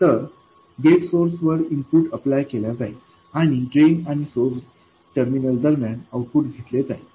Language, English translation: Marathi, So, the input is applied to gate source and the output is taken between the drain and source terminals